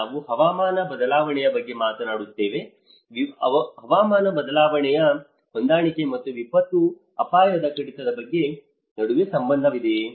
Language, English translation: Kannada, We talk about the climate change, is there a relationship between climate change adaptation and the disaster risk reduction